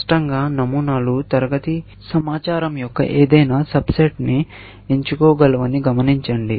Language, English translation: Telugu, Obviously, notice that patterns can select any subset of the class information